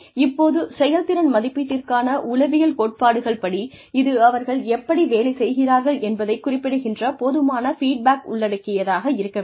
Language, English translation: Tamil, Now, psychological principles of performance appraisal are, it should involve adequate feedback, as to how they are performing